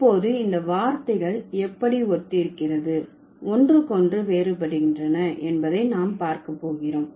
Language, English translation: Tamil, So, now what we are going to do, we are going to take a look how these words resemble and differ from each other